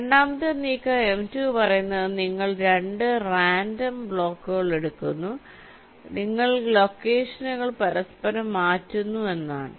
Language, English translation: Malayalam, the second move, m two, says you pick up two random blocks, you interchange the locations